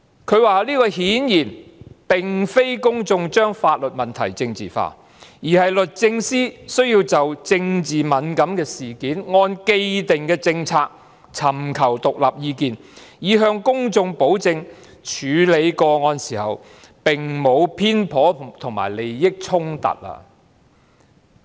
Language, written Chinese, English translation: Cantonese, 他說這顯然並非公眾把法律問題政治化，而是律政司需要就政治敏感的事件，按既定政策尋求獨立意見，以向公眾保證在處理個案時沒有偏頗及利益衝突。, According to him the public obviously have not politicized the legal matter but DoJ needed to seek independent advice on this politically sensitive case in accordance with the established policy with a view to ensuring the public that the case was handled without bias or conflict of interests